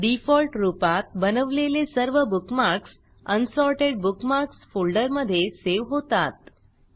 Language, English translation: Marathi, By default all the bookmarks that you created are saved in the Unsorted Bookmarks folder